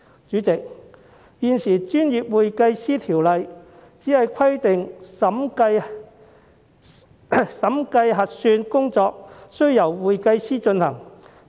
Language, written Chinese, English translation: Cantonese, 主席，現時《專業會計師條例》只規定審計核算工作需由會計師進行。, President at present the Professional Accountants Ordinance only requires that auditing services must be provided by certified public accountants